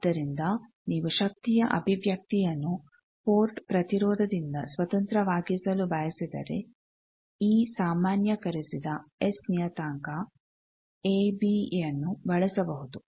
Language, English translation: Kannada, So, if you want to make power expression independent of port impedance, this generalized S parameter a b can be used